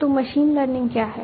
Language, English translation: Hindi, So, what is machine learning